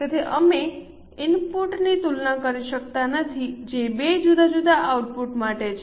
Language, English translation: Gujarati, So, we cannot compare input which is for two different outputs